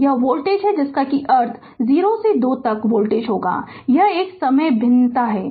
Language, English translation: Hindi, So, this is the voltage that means, voltage from 0 to 2, it is a time varying